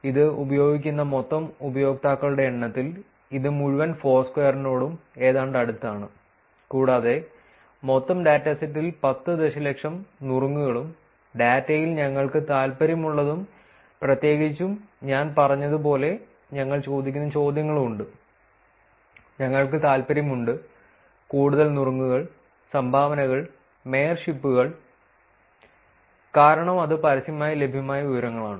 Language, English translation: Malayalam, It is almost close to the entire Foursquare in terms of the number users that are using it, and the total dataset contains 10 million tips and what we are interested in the data particularly the questions that we are asking as I said, we are interested in mostly the tips, dones and mayorships, because that is the information that is publicly available